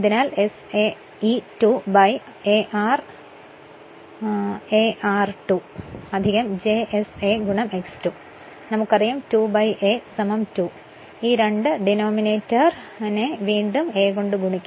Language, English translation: Malayalam, So, SaE 2 then a X 2 plus j s a a a into X 2; the numerator and denominator multiply by a